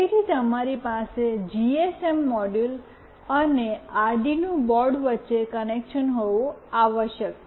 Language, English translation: Gujarati, So, you must have a connection between the GSM module and the Arduino board